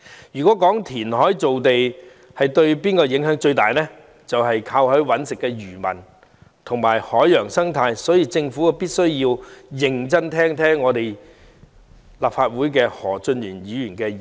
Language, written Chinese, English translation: Cantonese, 如果有人問填海造地對甚麼影響最大，就是靠海維生的漁民及海洋生態，所以政府必須認真聆聽本會何俊賢議員的意見。, If someone asks what will be most affected by reclamation the answer will be fishermen living on the sea and the marine ecology . For this reason the Government must listen carefully to the views of Mr Steven HO of this Council